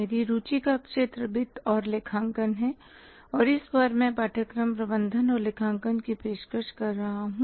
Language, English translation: Hindi, My area of interest is finance and accounting and this time I am offering a course management accounting